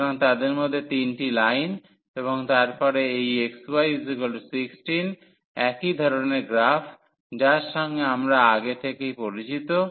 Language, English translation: Bengali, So, among them 3 are the lines and then this xy is equal to 16 with similar kind of a graph we have in the earlier figure